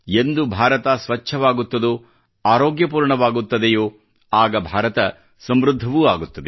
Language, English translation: Kannada, A clean and healthy India will spell a prosperous India also